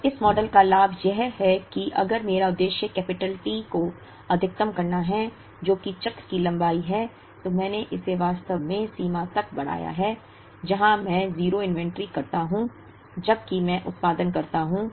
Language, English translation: Hindi, Now, the advantage of this model is that, if my objective is to maximize capital T which is the cycle length, then I have really stretched it to the limit, where I am going to have exactly 0 inventory, while I produce